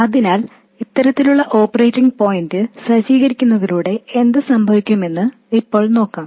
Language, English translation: Malayalam, So now let's see what happens with this type of setting up of the operating point